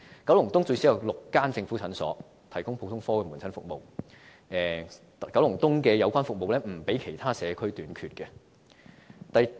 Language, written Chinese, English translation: Cantonese, 九龍東最少有6間政府診所提供普通科門診服務，故九龍東的有關服務並不比其他社區短缺。, Given that there are at least six government clinics providing general outpatient services in Kowloon East its services are not in shorter supply than in other communities